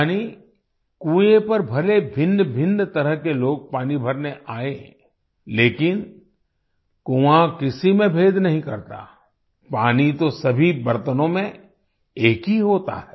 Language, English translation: Hindi, Which means There could be myriad kinds of people who come to the well to draw water…But the well does not differentiate anyone…water remains the same in all utensils